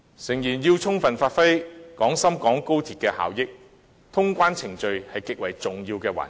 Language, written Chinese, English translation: Cantonese, 誠然，要充分發揮廣深港高鐵的效益，通關程序是極為重要的環節。, Admittedly the customs clearance process is extremely important in order to fully utilize the benefits of XRL